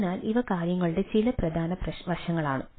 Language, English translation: Malayalam, so that is one of the aspects of the thing